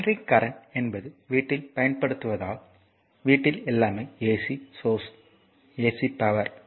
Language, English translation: Tamil, So, alternating current is use in our house hold the because all our household everything is ac source, ac power right